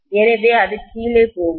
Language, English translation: Tamil, So it will go down